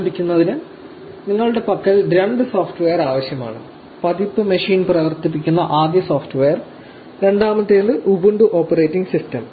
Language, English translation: Malayalam, To start with, you need two pieces of software with you; first software to run version machine and second the ubuntu operating system